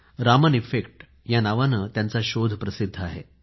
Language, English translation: Marathi, One of his discoveries is famous as the Raman Effect